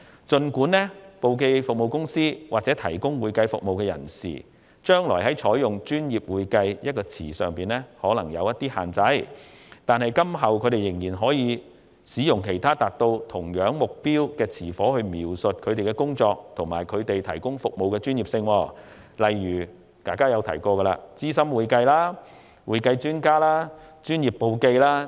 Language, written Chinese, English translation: Cantonese, 儘管提供簿記或會計服務的公司或個人，將來在採用"專業會計"的稱謂上或會受若干限制，但仍可使用其他達到相同目標的稱謂描述其工作及所提供服務的專業性，例如"資深會計"、"會計專家"和"專業簿記"等。, Although companies or individuals providing bookkeeping and accounting services will be subject to certain restrictions in using the description professional accounting in the future they can still use other descriptions such as seasoned accounting accounting expert and professional bookkeeping etc . which will achieve the same purpose in describing the expertise of their work and the services they provide